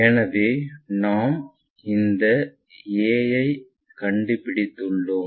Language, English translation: Tamil, So, this will be our a point